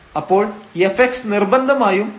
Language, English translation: Malayalam, So, here assuming this f x is less than 0